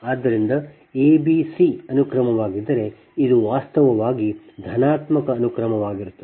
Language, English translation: Kannada, so if a, b, c sequence, this is actually positive sequence